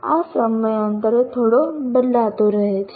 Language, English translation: Gujarati, This may keep changing slightly from time to time